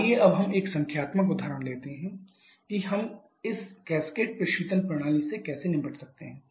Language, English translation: Hindi, Let us now take a numerical example just to see how we can deal with this cascaded refrigeration system